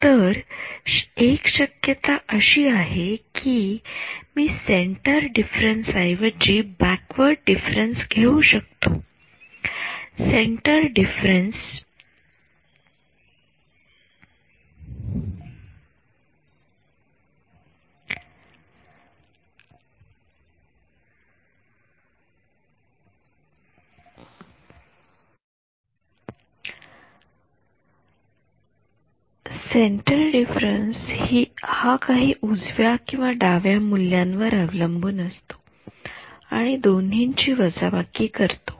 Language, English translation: Marathi, So, one possibility is that I can take a backward difference instead of a centre difference; centre difference depends on some value to the right and some value to the left and subtract those two